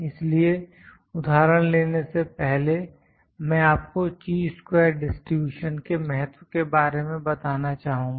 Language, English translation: Hindi, So, before taking the example I like to tell you the significance of Chi square distribution